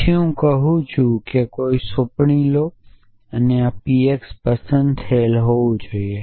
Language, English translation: Gujarati, Then I am saying that take any assignment and this p x must be choose essentially